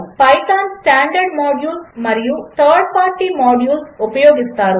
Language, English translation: Telugu, Use python standard modules and 3rd party modules